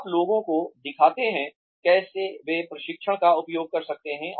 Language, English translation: Hindi, You show people, how they can use the training